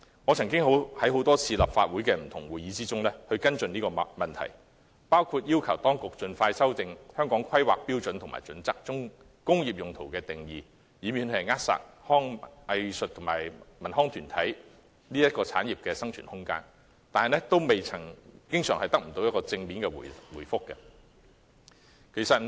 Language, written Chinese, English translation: Cantonese, 我曾多次在立法會不同會議上跟進這個問題，包括要求當局盡快修訂《規劃標準》中工業用途的定義，以免扼殺藝術及文康產業的生存空間，但經常不獲正面答覆。, In fact some units have often been banned for failing to comply with relevant standards . I have repeatedly followed up on this issue at various Legislative Council meetings including calling on the authorities to expeditiously amend the definition of industrial use in HKPSG to avoid smothering the survival of the arts cultural and recreational industries . However very often I have not been given a direct answer